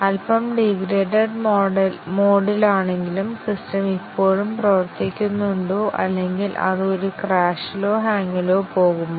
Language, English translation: Malayalam, Does the system still function even though in a slightly degraded mode or does it go into a crash or a hang